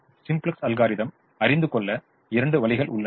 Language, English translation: Tamil, there are two ways of looking at the simplex algorithm